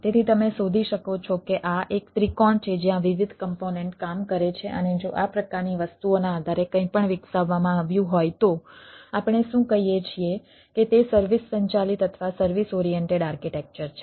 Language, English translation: Gujarati, so you can find that this is a triangle where different component works and if anything is developed based on this type of things, what we say that it is a service driven or service oriented architecture